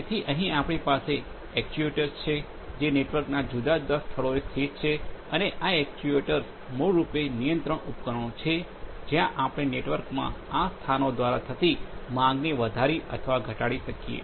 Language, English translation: Gujarati, So, here we have the actuators which are located at different locations of the network and these actuators are basically control devices, where we can increase or decrease the demand flowing through these flowing through these locations in the network